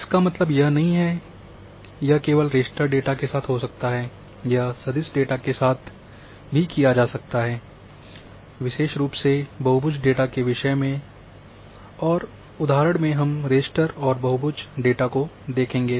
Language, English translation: Hindi, That doesn’t mean that it can only go with the raster data, it can also go with the vector data especially the polygon data and examples we will see from both raster as well as polygon data